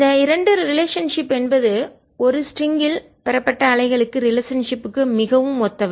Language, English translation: Tamil, this two relationships are very similar to the relationship obtain for waves on a string